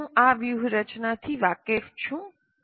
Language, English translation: Gujarati, Do I know of those strategies